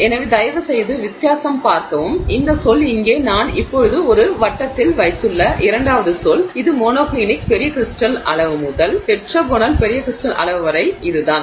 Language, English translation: Tamil, So, uh, uh, please see the difference this term here, the second term that I have now put in circle is monoclinic large crystal size to tetragonal large crystal size